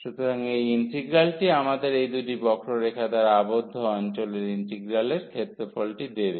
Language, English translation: Bengali, So, this integral will give us the area of the integral of the region bounded by these two curves